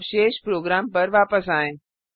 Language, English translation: Hindi, Now Coming back to the rest of the program